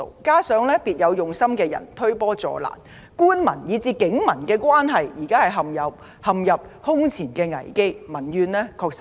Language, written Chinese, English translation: Cantonese, 加上別有用心的人推波助瀾，官民以至警民關係現正陷入空前危機，民怨確實巨大。, People with ulterior motives are adding fuel to the flame and government - public and police - public relations are in an unprecedentedly grave crisis